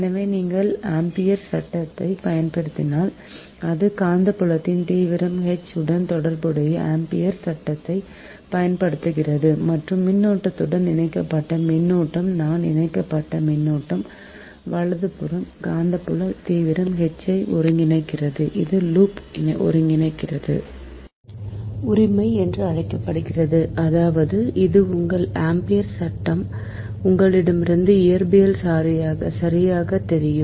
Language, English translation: Tamil, so making use of amperes law, if you, that is that making use of amperes law, which relates magnetic field intensity, h and and to the current enclosed, that is i suffix, is enclosed current, i enclosed right, and relates magnetic field intensity is the loop integral, this integral one, this is called loop integral a